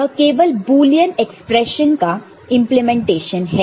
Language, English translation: Hindi, It is just simple implementation of the Boolean expression, right